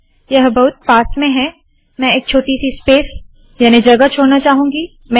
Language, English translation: Hindi, This is too close I want to leave a small space